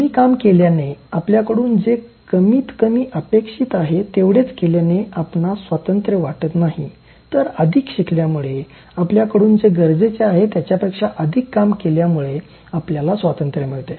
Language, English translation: Marathi, So, freedom is not by doing less, not by restricting, confining you to what is less expected from you, but freedom is gained by learning more, seeking more and then exceeding in terms of what is actually required from you